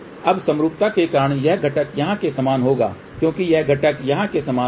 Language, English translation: Hindi, Now, because of the symmetry this component will be same as here this component will be same as here